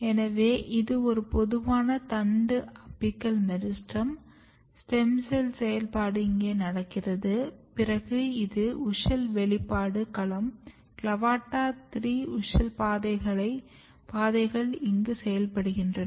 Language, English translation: Tamil, So, this is a typical shoot apical meristem, you have stem cell activity going on here then you have WUSCHEL expression domain CLAVATA3 WUSCHEL pathways are working here